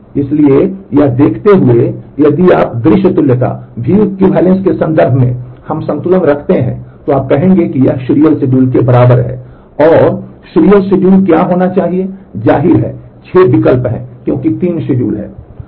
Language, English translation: Hindi, So, given that but if you in terms of the view equivalence we balance, then you will say that this is equivalent to a serial schedule and what should be the serial schedule; obviously, there are 6 choices because there are 3 schedules